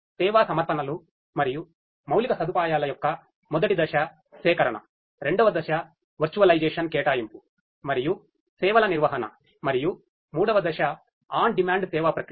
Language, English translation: Telugu, Phase one collection of the service offerings and the infrastructure, phase two is the virtualization, allocation and management of the services, and phase three is on demand service processing